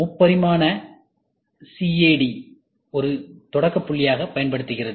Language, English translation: Tamil, Since, 3D CAD is being used as a starting point